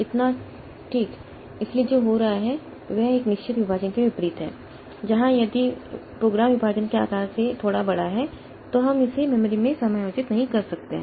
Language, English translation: Hindi, So, what is happening is that unlike a fixed partition, so where if the program is slightly larger than the partition side so we could not accommodate it in the memory